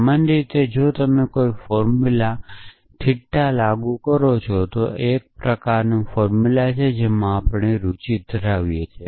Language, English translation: Gujarati, In general if you apply theta to any formula this is just one kind of a formula which we have interested in